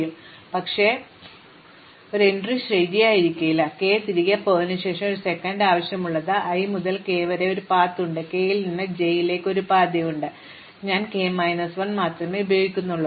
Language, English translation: Malayalam, The other hand, maybe I do not have an entry true, after go via k, but once again that needs there is a path from i to k and there is a path from k to j and here I use only k minus 1 and here I use only k minus 1, because k needs to appear only once